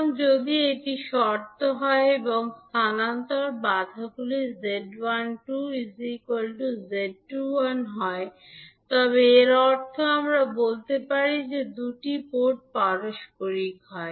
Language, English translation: Bengali, So, if this is the condition and the transfer impedances are equal that is Z12 is equal to Z21, it means that we can say that two port is reciprocal